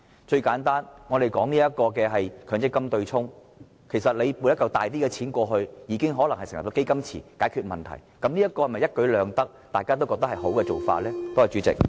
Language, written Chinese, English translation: Cantonese, 最簡單，我們討論強積金對沖時，其實政府撥出一大筆款項，已經能夠成立基金池來解決問題，這不是一舉兩得，大家也認為很好的做法嗎？, Actually in our discussion on the MPF offsetting arrangement if the Government can allocate a large sum of money to set up a fund pool it can solve the problem . Is this not a dual - way approach that everyone finds desirable?